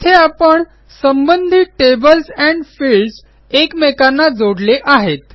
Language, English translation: Marathi, There, we have connected the related tables and fields